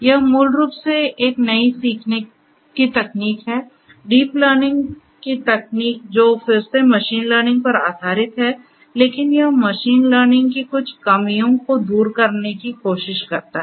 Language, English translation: Hindi, This, this is basically where this is a new learning technique, the deep learning technique which is again based on machine learning, but it tries to overcome some of the some of the drawbacks of the, limitations of machine learning